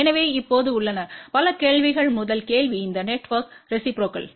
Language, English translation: Tamil, So, there are now, several questions, the first question is is this network reciprocal